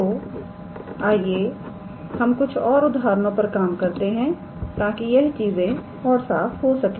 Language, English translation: Hindi, So, let us work out an example just to make things clear